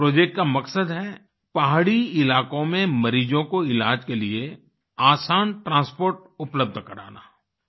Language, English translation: Hindi, The purpose of this project is to provide easy transport for the treatment of patients in hilly areas